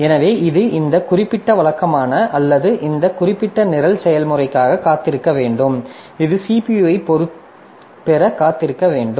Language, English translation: Tamil, And so this one it has to wait for the this particular routine or this particular program or process it has to wait for getting the CPU